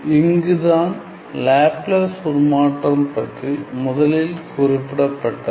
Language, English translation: Tamil, So, here was the first mentioned of Laplace transform